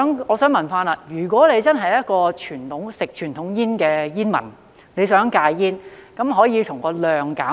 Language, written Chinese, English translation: Cantonese, 我想問，如果一名吸食傳統煙的煙民想戒煙，可以從數量方面減少。, I would like to ask if a smoker who smokes conventional cigarettes wants to quit smoking he or she can reduce the number of cigarettes